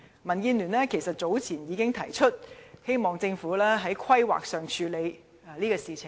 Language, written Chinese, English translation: Cantonese, 民建聯早年已經提出，希望政府在進行規劃時處理這問題。, DAB pointed out long ago that the Government should address the problem when it conducted the planning